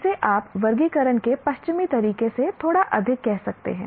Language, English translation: Hindi, This you can say a little more of Western way of classification